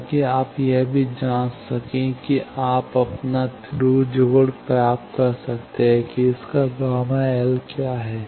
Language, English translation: Hindi, So, that you can check also you can get your Thru connection what is the gamma L of that